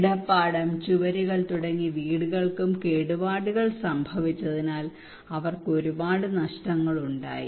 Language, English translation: Malayalam, Their house starting from their beds, walls, their houses were damaged so they have a lot of losses